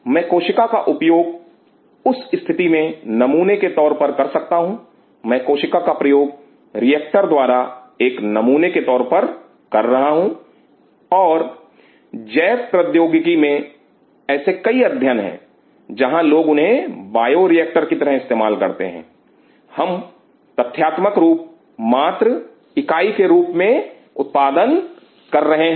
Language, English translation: Hindi, I can use the cell as a simple in that situation I am using the cell as a sample by reactor, and there are many such studies in biotechnology where people use them as bioreactor, we are just producing unit as a matter of fact